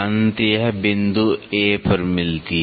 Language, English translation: Hindi, So, it meets at a point A dash